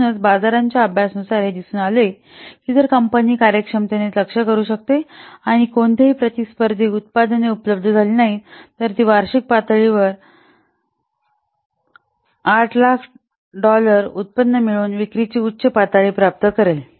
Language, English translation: Marathi, So, study of the market shows that if the company can target it efficiently and no competing products become available, then it will obtain a high level of sales generating what an annual income of $8,000